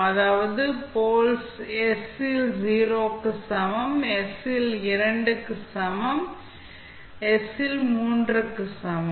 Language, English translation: Tamil, That is poles are at s is equal to 0, at s equal to minus 2, at s is equal to minus 3